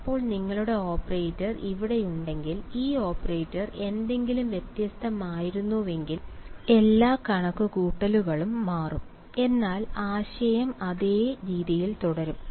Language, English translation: Malayalam, Now, in case that your operator over here, this in if this operator was something different, then all the calculations will change; but the idea will remain the same right